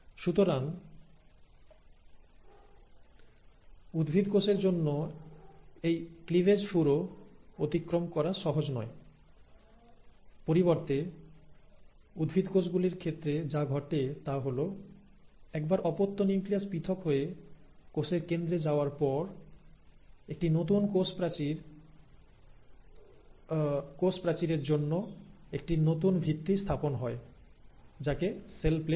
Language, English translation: Bengali, So for a plant cell, it is not easy to undergo this cleavage furrow; instead what happens in case of plant cells is once the daughter nuclei have separated and being pulled apart right at the centre of the cell, there is a new foundation laid for a newer cell wall which is called as the cell plate